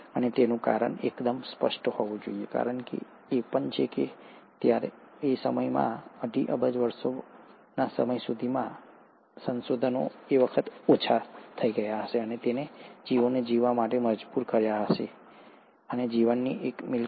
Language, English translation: Gujarati, And the reason must have been pretty evident, the reason being that by this time, by the time of two and a half billion years, resources must have become lesser, it would have compelled the organisms to survive as I said, one property of life is to survive